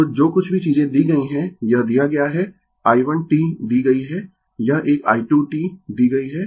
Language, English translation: Hindi, So, whatever things are given, it is given i 1 t is given this one i 2 t is given